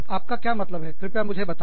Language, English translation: Hindi, What do you mean, please tell me